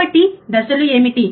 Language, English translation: Telugu, So, what are the steps